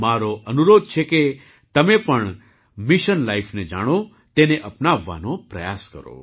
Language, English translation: Gujarati, I urge you to also know Mission Life and try to adopt it